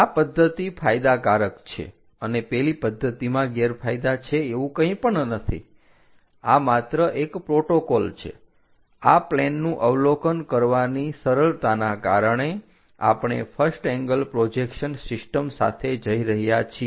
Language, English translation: Gujarati, Ah there is nothing like this method is advantageous that method is disadvantages, it is just one protocol, because of easiness in observing these planes, we are going with first angle projection system